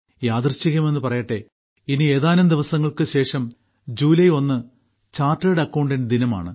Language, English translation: Malayalam, Coincidentally, a few days from now, July 1 is observed as chartered accountants day